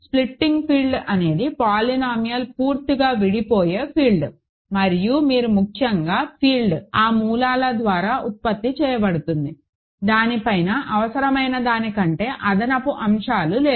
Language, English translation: Telugu, Splitting field is a field where the polynomial splits completely and more importantly the field is generated by those roots it is; it does not have any extra stuff above it than is needed